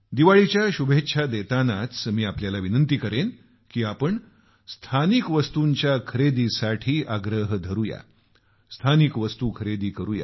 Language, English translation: Marathi, Hence along with the best of wishes on Deepawali, I would urge you to come forward and become a patron of local things and buy local